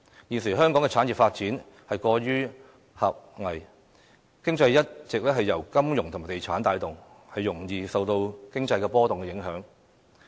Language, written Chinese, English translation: Cantonese, 現時，香港的產業發展過於狹隘，經濟一直由金融業和地產業帶動，容易受經濟波動影響。, At present the development of industries in Hong Kong is too narrow . Our economy has been driven by the finance industry and real estate industry and is most susceptible to economic fluctuations